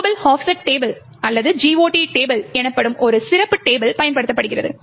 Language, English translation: Tamil, A special table known as Global Offset Table or GOT table is used